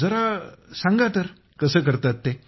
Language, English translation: Marathi, Tell me, how do you do it